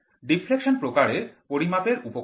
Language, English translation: Bengali, So, the deflection type measuring instrument